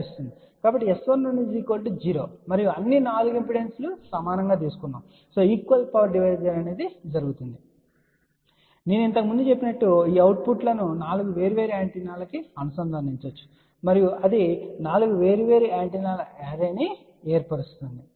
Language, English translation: Telugu, So that means S 11 will be equal to 0 and since all the 4 impedances have been taken equal, so equal power division will take place and as I mentioned earlier theseoutputs can be connected to 4 different antennas and that will form an array of 4 different antennas